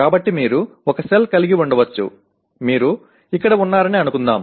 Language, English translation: Telugu, So you can have a cell let us say you are here